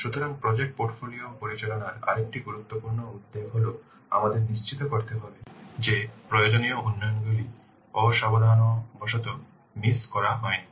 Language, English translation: Bengali, So another important concern of project portfolio management is that we have to ensure that necessary developments have not been inadvertently missed